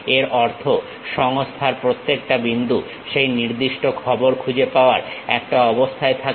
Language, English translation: Bengali, That means, at each and every point of the system, we will be in a position to really identify that particular information